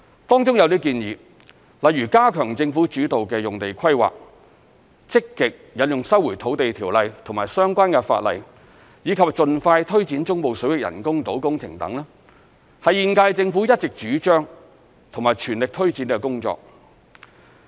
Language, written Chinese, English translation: Cantonese, 當中有些建議，例如加強政府主導的用地規劃、積極引用《收回土地條例》及相關法例，以及盡快推展中部水域人工島工程等，是現屆政府一直主張及全力推展的工作。, Some of the proposals such as strengthening Government - led land use planning proactively invoking the Land Resumption Ordinance and the related laws and expeditiously taking forward the project of artificial islands in the Central Waters are tasks that the current - term Government has been advocating and taking forward all along